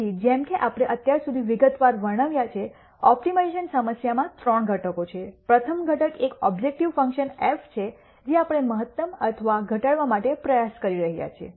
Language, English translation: Gujarati, So, as we have described in quite detail till now, an optimization problem has three components the first component is an objective function f which we are trying to either maximize or minimize